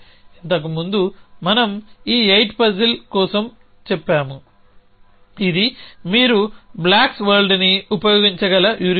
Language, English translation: Telugu, Earlier we said for this 8 puzzle this is a heuristic you can use of a blocks world